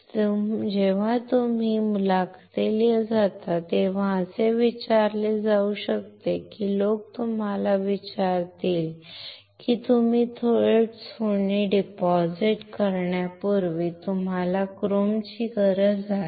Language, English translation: Marathi, It can be asked when you when you go for the interviews and these people will ask you why, why you need a chrome for before gold can you deposit gold directly